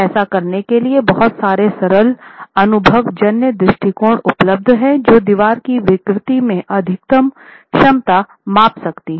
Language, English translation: Hindi, Approaches are available, simple empirical approaches are available to establish what should be the maximum capacity in deformation of the wall